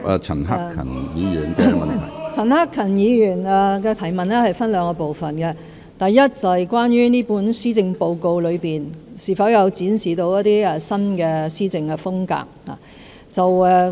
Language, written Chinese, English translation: Cantonese, 陳克勤議員的質詢分兩個部分，第一，這份施政報告有否展示新的施政風格。, Mr CHAN Hak - kans question is divided into two parts . The first part is whether this Policy Address has demonstrated a new style of governance